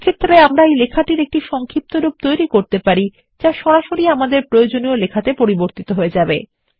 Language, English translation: Bengali, Then we can create an abbreviation which will directly get converted into our required text